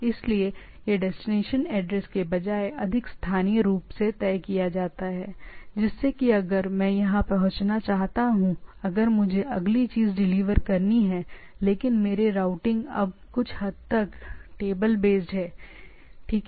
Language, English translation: Hindi, So, it is more decided instead of destination address it goes on locally like if I want to transmit here when next thing I have to deliver, which in turn things will be there right, but my routing is now somewhat table based, right